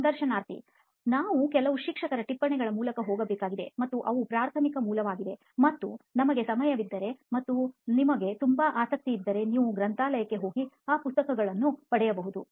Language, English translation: Kannada, We have to go through some teacher's notes and those are the primary source and after that if you have time and if you are very much interested, you can go to the library and get these books